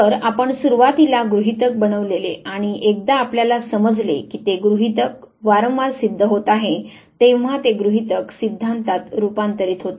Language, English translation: Marathi, So, hypothesis that you initially made once you realize that repeatedly the hypothesis gets proven this hypothesis gets converted into theories